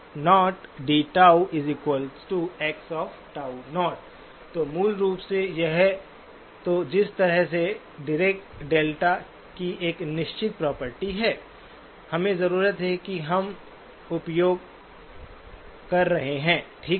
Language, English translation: Hindi, So basically either way there is a certain property of the Dirac delta that we need and we are utilizing, okay